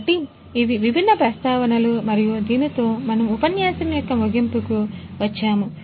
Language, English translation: Telugu, So, these are some of these different references and with this we come to an end